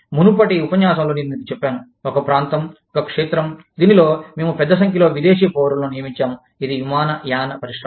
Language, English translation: Telugu, I think, in a previous lecture, i had told you, that one of the areas, one of the fields, in which, we employ a large number of foreign nationals, is the airline industry